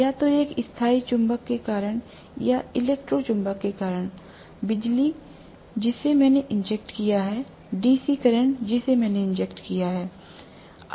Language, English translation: Hindi, Because of either a permanent magnet or because of, you know the electro magnet, electricity that I have injected, DC current that I have injected